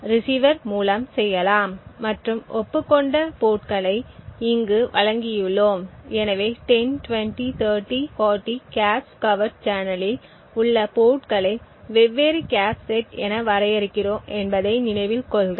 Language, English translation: Tamil, /receiver and we provided the agreed upon ports over here, so 10, 20, 30, 40 so recollect that we define the ports in the cache covert channel as essentially the different cache sets